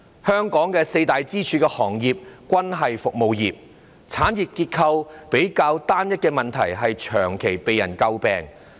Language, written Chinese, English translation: Cantonese, 香港的四大支柱行業均屬服務業，產業結構比較單一的問題長期被詬病。, The four pillar industries in Hong Kong are all service industries and its rather homogeneous industrial structure has been faulted for a long time